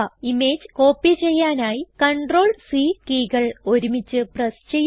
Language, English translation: Malayalam, Press CTRL and C keys together to copy the image